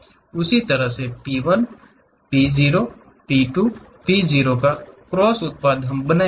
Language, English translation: Hindi, Similarly P 1, P 0; P 2, P 0 cross products we will construct